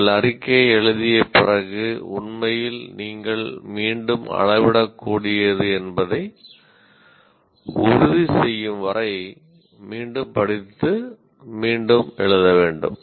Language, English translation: Tamil, After you write the statement, you should read and rewrite and rewrite until you make sure it is actually measurable